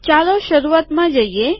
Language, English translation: Gujarati, Lets go to the beginning